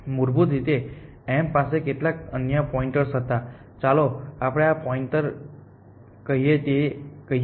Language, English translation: Gujarati, Originally this m had some other pointer let us say this pointer